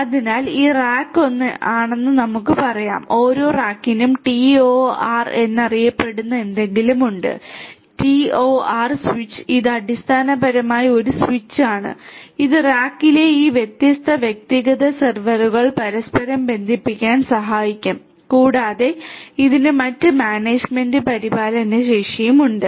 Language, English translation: Malayalam, So, let us say that this is rack 1 every rack has something known as a TOR, TOR switch it is basically a switch which will help these different individual servers in a rack to be interconnected together and also it has different other management and maintenance capabilities